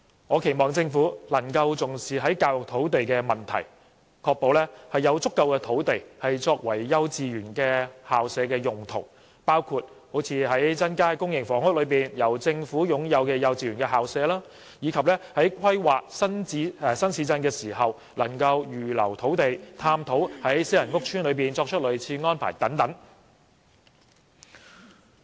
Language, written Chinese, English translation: Cantonese, 我期望政府能夠重視教育土地的問題，確保有足夠土地撥作幼稚園校舍的用途，包括增加公營房屋內由政府擁有的幼稚園校舍，以及在規劃新市鎮時預留土地，並探討在私人屋邨作出類似安排的可能性等。, I hope the Government can attach importance to sites for education purposes and ensure that sufficient land is allocated for use as kindergarten premises . For example it can increase government - owned kindergarten premises in public housing estates and reserve land in the course of new town planning and explore the possibility of making similar arrangements in private estates